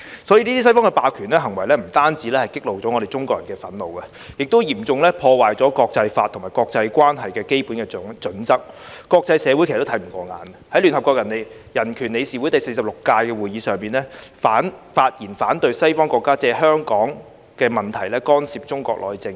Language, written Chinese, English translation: Cantonese, 所以，這些西方的霸權行為不單激起了我們中國人的憤怒，亦嚴重破壞了國際法及國際關係的基本準則，國際社會其實都看不過眼，在聯合國人權理事會第46屆會議上，發言反對西方國家借香港問題干涉中國內政。, Therefore these hegemonic acts of the West have not only aroused the anger of the Chinese people but also seriously undermined the basic standards of international law and international relations . The international community is actually not pleased with this . At the 46th session of the United Nations Human Rights Council many Council Members spoke against the Western countries interference in Chinas internal affairs through the Hong Kong issues